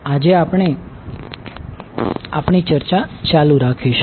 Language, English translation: Gujarati, So we will just continue our discussion